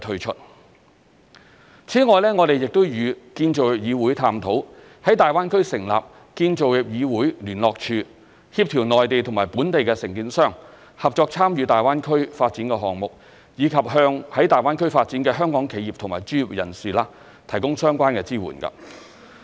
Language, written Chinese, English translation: Cantonese, 此外，我們亦與建造業議會探討，在大灣區成立建造業議會聯絡處，協調內地與本地承建商合作參與大灣區發展項目，以及向在大灣區發展的香港企業和專業人士提供相關的支援。, Moreover we will explore with the Construction Industry Council CIC the setting up of a CIC liaison office in the Greater Bay Area which will coordinate the collaboration between Mainland and Hong Kong contractors in participating in the development projects in the Greater Bay Area and will provide relevant assistance for Hong Kong enterprises and professionals in their development in the Greater Bay Area